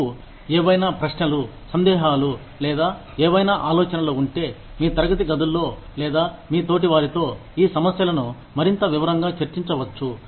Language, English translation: Telugu, If you have, any questions, or doubts, or any ideas, on how, you can discuss these issues, in greater detail, in your classrooms, or among your peers